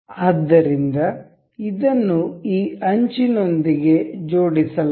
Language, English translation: Kannada, So, this is aligned with this edge